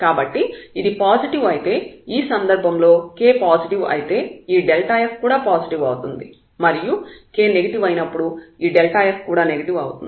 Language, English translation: Telugu, So, if it is positive in that case this delta f will be positive for k positive and this delta f will be negative when we have k negative